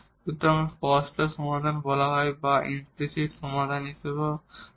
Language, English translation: Bengali, So, called the explicit solution or we also called as a implicit solution